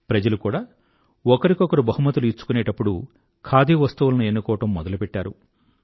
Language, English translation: Telugu, Even people have started exchanging Khadi items as gifts